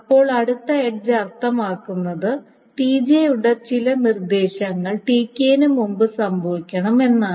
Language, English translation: Malayalam, Then the next edge essentially means that the instruction of TJ, some instruction of TJ must happen before TK